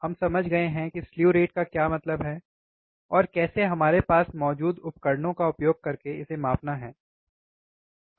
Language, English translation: Hindi, We have understood what slew rate means and how to measure it using the equipment we have